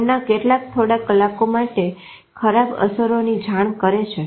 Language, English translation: Gujarati, Some of them report ill effect for a few hours